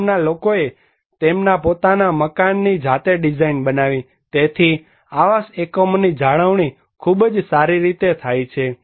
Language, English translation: Gujarati, Villagers have designed their own houses; therefore; the dwelling units is very well maintained